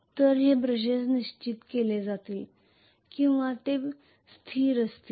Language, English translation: Marathi, So these brushes will be fixed or they will be stationary